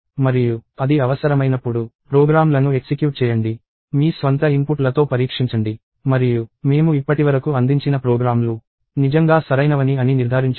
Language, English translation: Telugu, And whenever it is needed, run the programs; test with your own inputs and ensure that, the programs that I have return so far are indeed correct